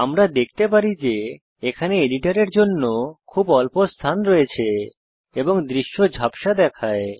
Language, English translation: Bengali, Java We can see that there is very little space for the editor and the view looks blurred